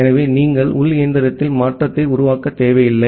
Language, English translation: Tamil, So, you do not need to make a change into the internal machine